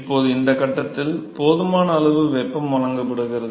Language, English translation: Tamil, Now, at this stage there is sufficient amount of heat that is been provided